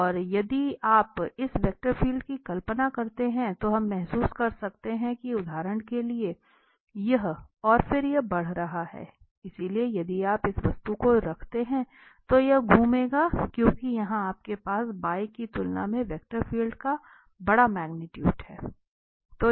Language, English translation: Hindi, And if you visualize this vector field, then we can realize that, so, for instance this and then increasing, increasing, increasing so, in this direction increasing so, if you place this object this will move, this will rotate because here you have the larger magnitude of the vector field as compared to the left